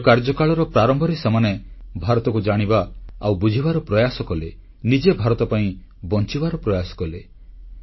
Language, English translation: Odia, At the beginning of their endeavour, they tried to know and understand India; tried to live India within themselves